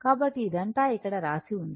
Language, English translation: Telugu, So, all this write up is here